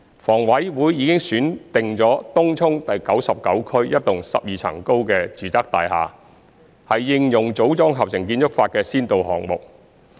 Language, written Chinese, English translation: Cantonese, 房委會已選定東涌第99區一幢12層高的住宅大廈為應用"組裝合成"建築法的先導項目。, HA has selected a 12 - storey residential block in Area 99 Tung Chung to conduct a pilot project for the application of MiC